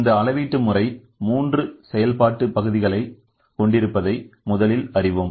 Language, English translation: Tamil, First we know that the generalised measuring system consist of three functional parts